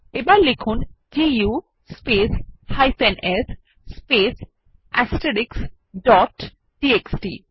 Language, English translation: Bengali, Then type du space s space *